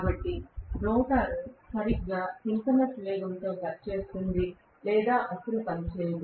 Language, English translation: Telugu, So, the rotor works exactly at synchronous speed or does not work at all